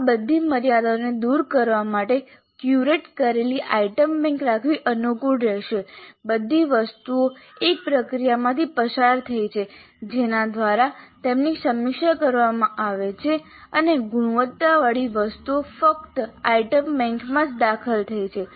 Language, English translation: Gujarati, Now in order to overcome all these limitations it would be convenient to have an item bank which has been curated which has gone through where all the items have gone through a process by which they are reviewed and the quality items only have entered the item bank